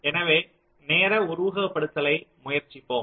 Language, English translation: Tamil, so let us try out something called timing simulation